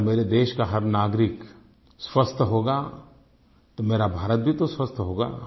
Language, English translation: Hindi, If every citizen of my country is healthy, then my country will be healthy